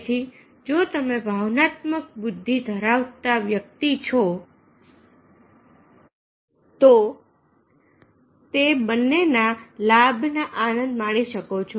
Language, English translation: Gujarati, so therefore, if you are a person is emotionally having the emotional intelligence, then he can enjoy the benefit of both